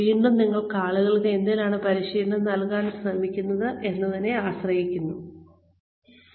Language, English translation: Malayalam, Again, depends on, what you are trying to give people, training in